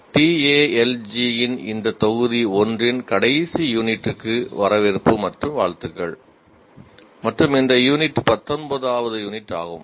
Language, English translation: Tamil, Greetings and welcome to the last unit of this module 1 of Talji, and this unit is 19th unit